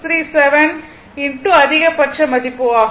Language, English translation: Tamil, 637 into maximum value right